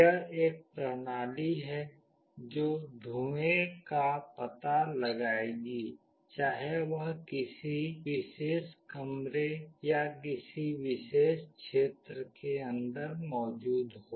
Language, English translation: Hindi, It is a system that will detect smoke, whether it is present inside a particular room or a particular area